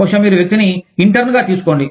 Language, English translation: Telugu, Maybe, you take the person on, as an intern